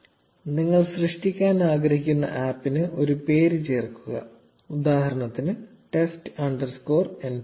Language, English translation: Malayalam, Add a name for the app you want to create, let us say, test underscore nptel